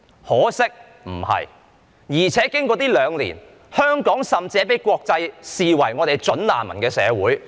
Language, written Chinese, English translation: Cantonese, 可惜事情不是這樣，況且經過這兩年，香港甚至已經被國際視為"準難民"的社會。, Unfortunately that is not the case . Worse still in the past two years Hong Kong has been internationally regarded as a society of prospective refugees